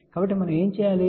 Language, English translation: Telugu, So, what we do